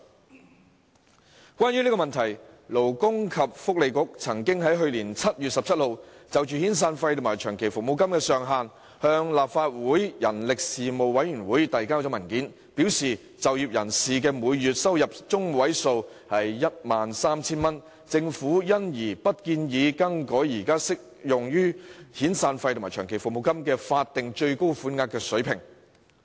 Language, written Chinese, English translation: Cantonese, 有關這個問題，勞工及福利局在去年7月17日，曾就遣散費及長期服務金的月薪計算上限，向立法會人力事務委員會遞交文件，表示鑒於就業人士的月薪中位數為 13,000 元，政府不建議更改現時適用於遣散費及長期服務金的法定最高款額水平。, Insofar as this issue is concerned in a paper submitted on 17 July last year to the Legislative Council Panel on Manpower regarding the monthly wage caps for calculating severance and long service payments the Labour and Welfare Bureau indicated that since the median monthly employment earning stood at 13,000 the Government would not propose to change the current statutory payment ceilings applicable to severance and long service payments